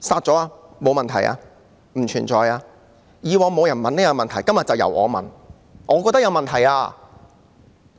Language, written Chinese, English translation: Cantonese, 過往沒有人質疑這種做法，今天就由我提問，我覺得有問題。, In the past no one queried this approach so today I will be the one to raise questions because I think there are problems